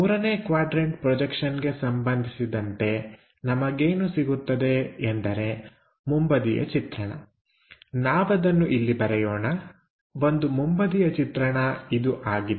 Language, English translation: Kannada, In case of 3rd quadrant systems, what we are going to get is a front view; let us draw it here, a front view